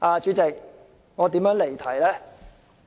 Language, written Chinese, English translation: Cantonese, 主席，我如何離題呢？, President how have I strayed from the subject?